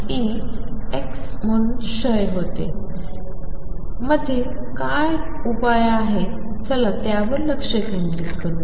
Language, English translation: Marathi, What about in between, what is the solution in between; let us focus on that